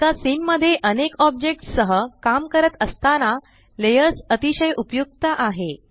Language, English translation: Marathi, Layers is very useful when working with mutiple objects in one scene